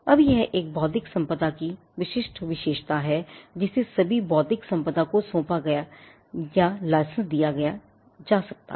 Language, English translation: Hindi, Now this is a distinguishing feature of intellectual property, that all intellectual property can be assigned or licensed